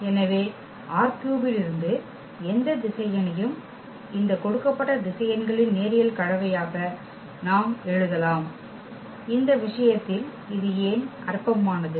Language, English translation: Tamil, So, any vector from R 3 we can write down as a linear combination of these given vectors and why this is trivial in this case